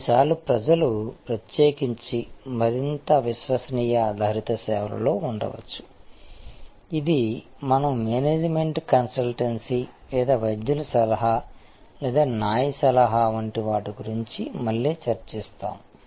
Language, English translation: Telugu, Sometimes people may particularly in more credence based services, which we will discuss again like a management consultancy or doctors advice or legal advice